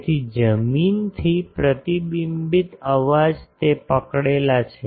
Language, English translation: Gujarati, So, lot of ground reflected noise it catch